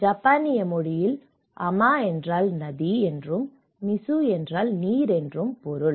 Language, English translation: Tamil, So, in Japanese Ama means river and mizu is water so, it talks about the river water harvesting